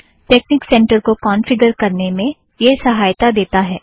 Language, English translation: Hindi, It helps you on how to configure texnic center